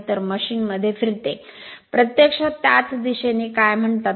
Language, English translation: Marathi, So, machine will rotate in the same direction right